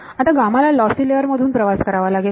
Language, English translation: Marathi, Now, this gamma has to travel through a lossy layer